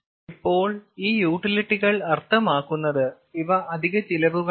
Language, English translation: Malayalam, utilities means these are extra cost